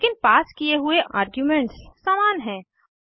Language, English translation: Hindi, But the arguments passed are same